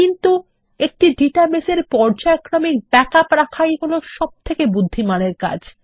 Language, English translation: Bengali, But a wise thing to do is to keep periodic backups of the database